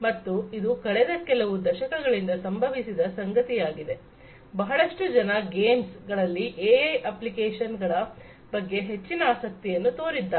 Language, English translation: Kannada, And, this is something that has happened since last few decades; you know a lot of work has happened, a lot of you know people have taken a lot of interest in the applications of AI in games